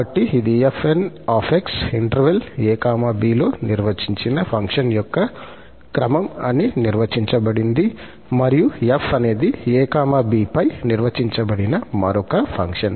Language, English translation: Telugu, So, this fn is defined as the sequence of the function defined in the interval [a, b] and let f be also an another function which is defined on this [a, b]